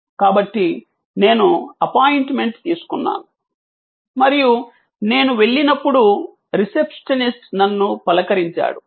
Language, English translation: Telugu, So, I called for an appointment, an appointment was given, when I arrived the receptionist greeted me